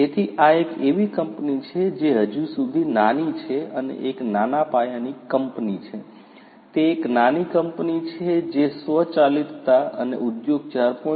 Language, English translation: Gujarati, So, this is a company which not so much yet, it is a small scale company, it is a small company which is not very much matured yet in terms of automation and Industry 4